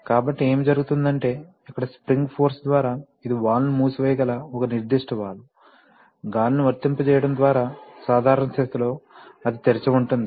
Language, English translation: Telugu, So, what happens is that here by spring force, this is a particular valve where you can close the valve, by applying air, in the normal position it will stay open